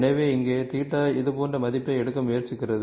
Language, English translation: Tamil, And so here theta also tries to take the value like value like this